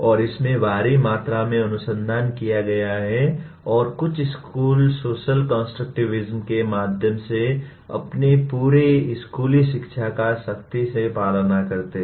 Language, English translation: Hindi, And there is enormous amount of research that is done and some schools follow strictly their entire school learning through social constructivism